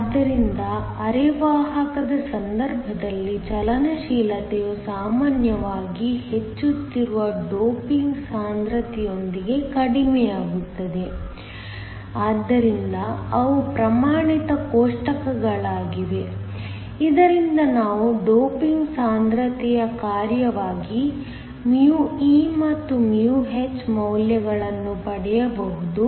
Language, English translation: Kannada, So, mobility in the case of a semiconductor usually goes down with the increasing doping concentration so, they are standard tables from which we can get these values of μe and μh as the function of the doping concentration